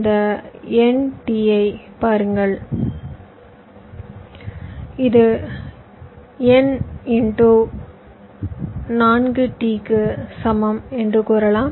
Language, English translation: Tamil, you can say this is approximately equal to n into four t